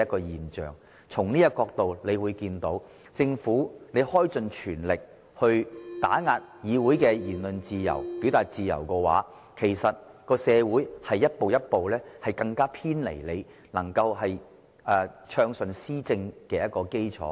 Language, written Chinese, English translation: Cantonese, 由此可見，當政府全力打壓議會的言論自由和表達自由時，社會正逐步偏離政府暢順施政的基礎。, Evidently when the Government makes all - out effort to suppress freedom of speech and of expression in this Council the community is gradually moving from the basis of smooth governance